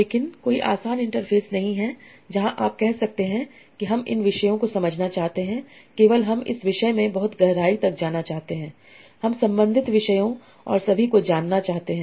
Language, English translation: Hindi, But there is no easy interface where you can say, okay, I want to understand these topics only, I want to go deep into this topic, I want to go related topics and all that